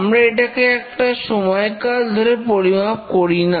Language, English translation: Bengali, We don't measure it over an interval